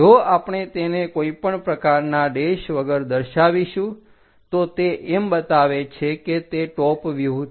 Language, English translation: Gujarati, If we are showing that without any’s dashes it indicates that it is a top view